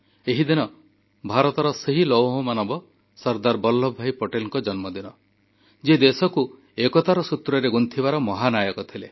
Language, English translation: Odia, This day marks the birth anniversary of the Iron Man of India, Sardar Vallabhbhai Patel, the unifying force in bonding us as a Nation; our Hero